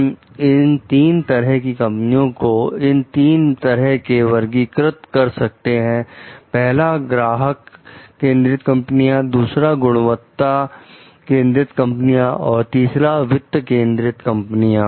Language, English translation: Hindi, We can classify these companies as customer oriented companies, quality oriented companies and the finance oriented companies